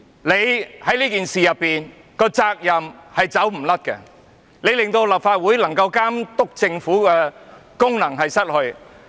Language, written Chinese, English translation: Cantonese, 你在這次事件中的責任無法推諉，你令立法會喪失了監督政府的功能。, You also have an unshirkable responsibility in this incident for the Legislative Council has lost its monitoring function over the Government because of you